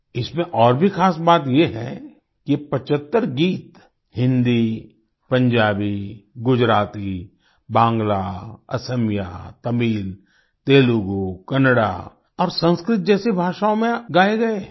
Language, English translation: Hindi, What is more special in this is that these 75 songs were sung in languages like Hindi, Punjabi, Gujarati, Bangla, Assamese, Tamil, Telugu, Kannada and Sanskrit